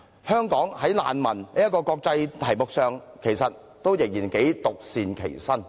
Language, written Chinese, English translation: Cantonese, 香港在難民這個國際議題上，其實仍然頗為獨善其身。, As far as the international issue of refugee problem is concerned Hong Kong has in fact been quite spared from its serious impact